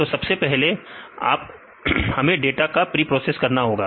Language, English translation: Hindi, So, first is we need to preprocess the data